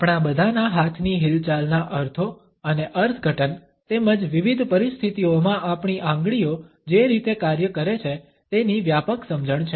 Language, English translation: Gujarati, All of us have a broad understanding of the meanings and interpretations of our movement of hands as well as the way our fingers act in different situations